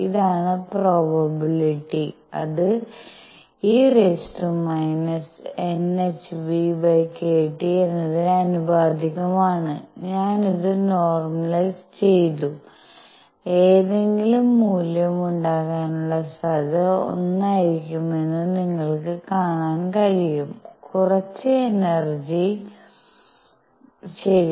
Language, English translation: Malayalam, So, this is the probability because this is proportional to e raised to minus n h nu by k T, I normalized it by this and you can see that the net the probability of having any value is going to be one; some energy, right